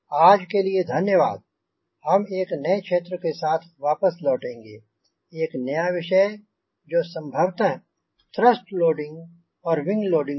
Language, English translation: Hindi, we will come back a new area now, a new topic that most probably it will be thrust loading and wing loading